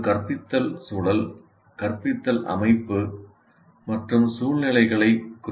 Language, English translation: Tamil, So an instructional context refers to the instructional setting and environment